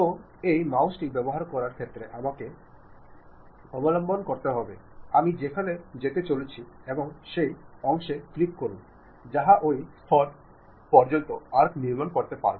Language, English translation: Bengali, So, I have to be careful in terms of using this mouse, where I am going to really move and click that portion it construct arc up to that level